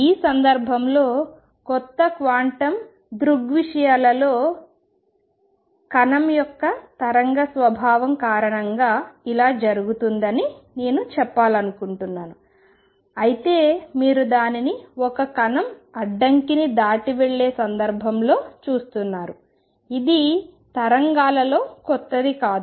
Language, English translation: Telugu, This case, all I want to say because of the wave nature of the particle in new quantum phenomena come although you are seeing it in the context of a particle going across the barrier it is nothing new in waves